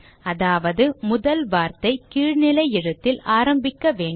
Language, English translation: Tamil, Which means that the first word should begin with a lower case